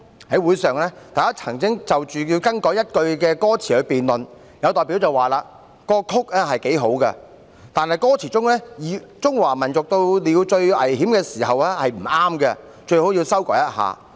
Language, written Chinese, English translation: Cantonese, "在會上，大家曾就是否更改一句歌詞辯論，有代表表示："曲子很好，但歌詞中有'中華民族到了最危險的時候'，不妥，最好詞修改一下。, At the meeting people debated over whether a line of the lyrics should be revised and one representative indicated The music is very good but the lyrics contain the line the peoples of China are at their most critical time which is not that good and the lyrics had better be revised